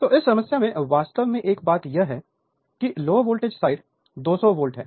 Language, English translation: Hindi, So, in this problem one thing actually one thing is that the low voltage side is 200 volt